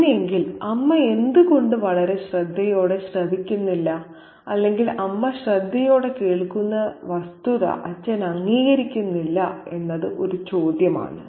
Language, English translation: Malayalam, So, why has the mother not been a very keen listener is a question or is the father not acknowledging the fact that the mother has been a keen listener to many